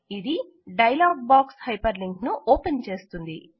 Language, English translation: Telugu, This will open the hyperlink dialog box